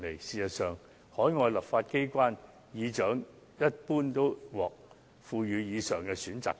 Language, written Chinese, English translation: Cantonese, 事實上，海外立法機關議長一般都獲賦予上述選擇權。, In fact presiding officers of legislatures in overseas jurisdictions are given the above selection power